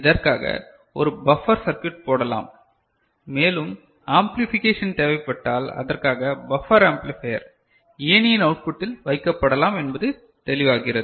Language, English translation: Tamil, And, for which we think of putting a buffer circuit and also it will, if amplification is required so, buffer amplifier is you know, that can be put at the output of a ladder, is it clear